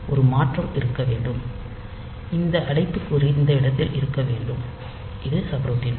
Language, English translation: Tamil, So, it should be there is a shift, so this bracket should be in this region, so that is the subroutine will be there